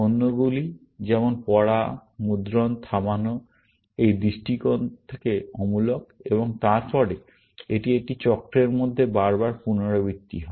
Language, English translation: Bengali, Others, like read, print and halt, are immaterial at this point of view, and then, this is repeated into a cycle, again and again